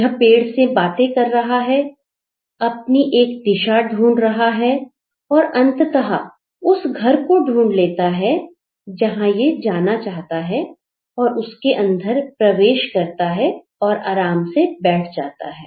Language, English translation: Hindi, He also interacts with the tree on his way, he gets the direction, he finds out the house where he wants to get in, so he enters inside and settles down